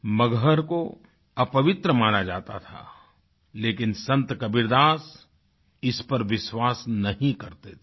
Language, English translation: Hindi, Maghar was considered unholy but Sant Kabirdas never subscribed to that view